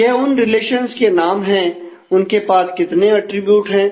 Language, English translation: Hindi, So, those relation names and the how many attributes they have